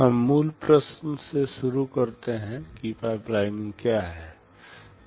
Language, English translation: Hindi, We start with the basic question what is pipelining